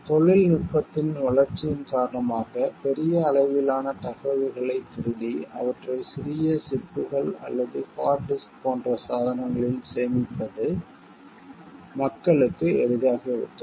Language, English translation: Tamil, Because, of the developments in technology it has become easy for people to steal huge heaps of information and store them in small chips or devices like hard disk